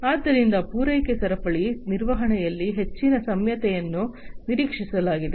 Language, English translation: Kannada, So, higher flexibility is in is expected in the supply chain management